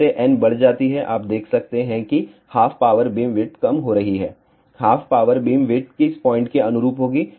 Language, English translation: Hindi, As, n increases you can see that half power beamwidth is decreasing, half power beamwidth will correspond to which point